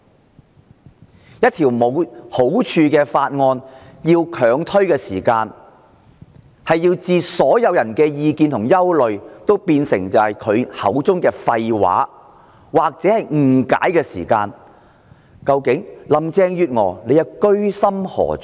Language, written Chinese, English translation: Cantonese, 她要強推一項沒有好處的法案，等同將所有人的意見和憂慮變成她口中的廢話或誤解，究竟林鄭月娥的居心何在？, When she forces ahead with this worthless bill she is actually turning all public opinions and worries into something she calls bullshit and misunderstanding . What is Carrie LAMs intention?